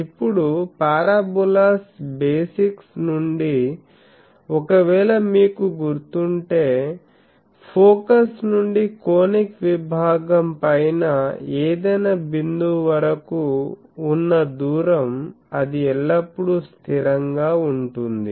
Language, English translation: Telugu, Now, from the parabolas basic any conic section if you remember that if from the distance from the focus to any point on the conic section that is always a constant